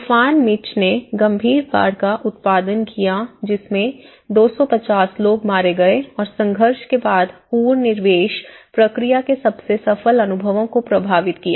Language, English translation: Hindi, This hurricane Mitch has produced the serious floods killing 250 people and affecting the most successful experiences of the post conflict reintegration process